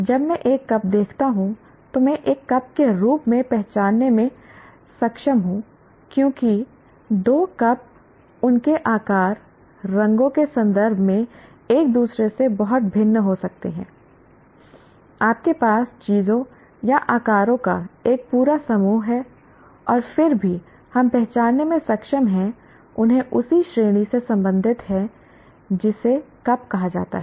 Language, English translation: Hindi, Like if you talk something as like a cup, when I see see a cup I am able to identify as a cup because two cups may be very different from each other in terms of their shapes, colors, you have a whole bunch of things or sizes and so on and yet we are able to identify them as belonging to the same category called cups